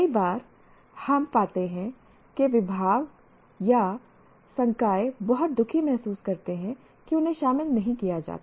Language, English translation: Hindi, Many times we find the departments or faculty feel very unhappy that they are not included